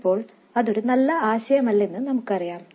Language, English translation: Malayalam, Now we know that that's not a good idea